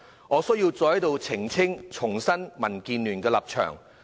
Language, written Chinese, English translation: Cantonese, 我需要再在此澄清及重申民建聯的立場。, I have to clarify again and reiterate the stance of DAB here